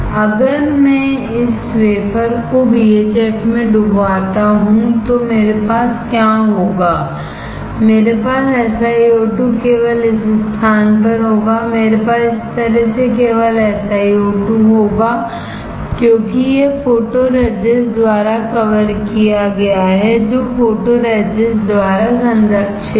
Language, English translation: Hindi, If I dip this wafer in BHF what will I have, I will have SiO2 only in this place; I will have SiO2 only this way, because this is covered by this is protected by photoresist; is protected by photoresist